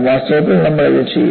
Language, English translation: Malayalam, And, in fact, we would do this